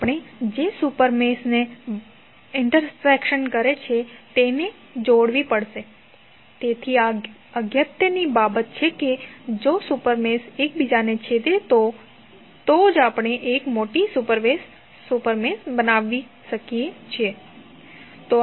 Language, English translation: Gujarati, We have to combine the super meshes who are intersecting, so this is important thing that if two super meshes are intersecting then only we can create a larger super mesh